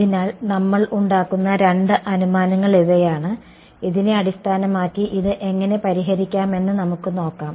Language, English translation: Malayalam, So, these are the two assumptions that we will make and based on this we will see how can we solve this right